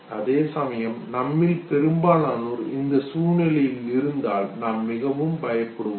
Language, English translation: Tamil, Whereas most of us if we are put in this very situation, we would be extremely scared okay